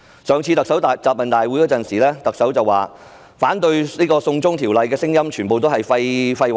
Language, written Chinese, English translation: Cantonese, 在上次的特首答問會上，特首說反對"送中條例"的聲音全是廢話。, In the last Chief Executives Question and Answer Session the Chief Executive said that all the voices against the China extradition law were nonsense